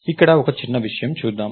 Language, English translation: Telugu, Lets see a small thing here right